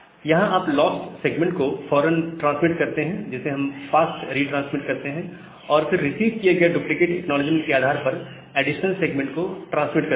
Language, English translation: Hindi, So, what we do here, you immediately transmit the lost segment, that we call as the fast retransmit, and then transmit additional segment based on the duplicate acknowledgement that has been received